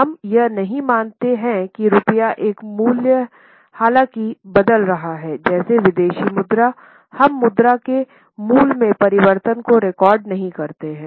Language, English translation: Hindi, We do not assume that the value of rupee though is changing vis a vis the foreign currency, we do not record the changes in the value of currency